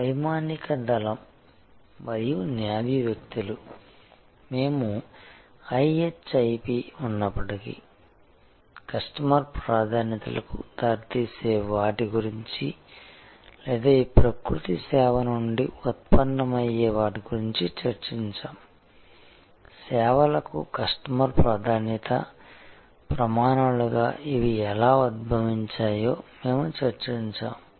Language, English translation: Telugu, The air force and the Navy people, we discussed about the, what leads to customer preferences in spite of the IHIP or rather arising out of this nature service, we had discussed how these emerge as customers preference criteria for services